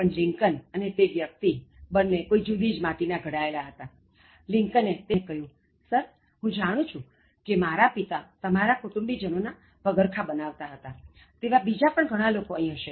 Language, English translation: Gujarati, But Lincoln— and that type of person is made of a totally different mettle— Lincoln looked at the man and said, “Sir, I know that my father used to make shoes in your house for your family, and there will be many others here